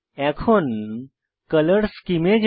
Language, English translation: Bengali, Now lets move on to Color schemes